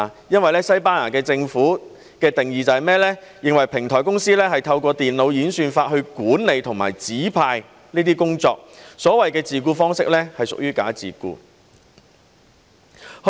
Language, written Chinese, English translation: Cantonese, 根據西班牙政府的定義，他們認為平台公司是透過電腦演算法來管理和指派工作，所謂的自僱方式是屬於"假自僱"。, According to the Spanish Governments definition as platform companies resort to computer algorithms in managing and assigning orders the so - called self - employment is actually bogus self - employment